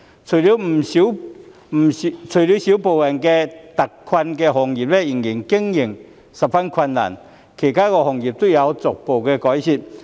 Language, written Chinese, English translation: Cantonese, 除了少部分特困行業的經營仍然十分困難外，其他行業都有逐步改善。, Save for a small number of hard - hit industries still operating in great difficulties other industries are gradually being relieved from hardship